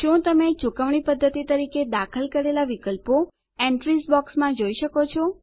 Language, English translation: Gujarati, Can you see the options that we entered as Mode of Payments in the Entries box